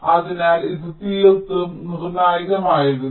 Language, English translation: Malayalam, so this was critical at all